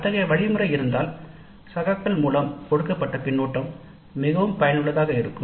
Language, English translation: Tamil, If such a mechanism exists, then the feedback given by the peers can be quite useful